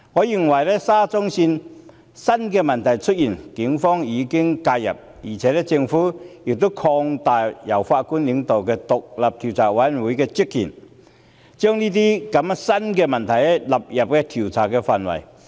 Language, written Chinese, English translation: Cantonese, 就沙中線出現的新問題，警方已經介入，政府亦擴大了由前法官領導的獨立調查委員會的職權，把這些新出現的問題納入調查範圍。, With regard to the new issues of SCL the Police have intervened and the Government has expanded the terms of reference of the independent Commission of Inquiry chaired by a former judge to cover them